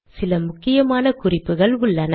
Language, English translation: Tamil, There are some important guidelines